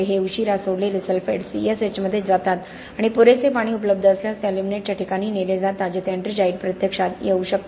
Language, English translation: Marathi, These late release sulphates go into the C S H and if there is sufficient water available they are carried to locations of aluminate where ettringite can actually happen